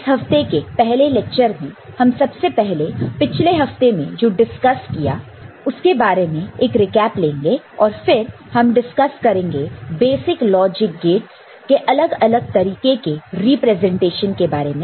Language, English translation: Hindi, In the 1st lecture of this week we shall have a quick recap of what we discussed in week 1, then we shall discuss the various representations of basic logic gates